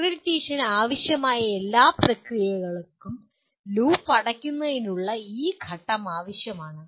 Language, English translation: Malayalam, All the processes required for accreditation need to have this step of closing the loop